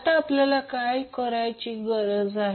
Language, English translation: Marathi, Now what we need to find out